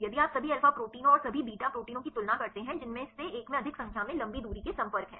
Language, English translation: Hindi, If you compare the all alpha proteins and the all beta proteins which one have more number of long range contacts